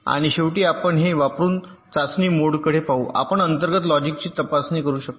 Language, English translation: Marathi, and lastly, let us look at ah test mode, using which we can test the internal logic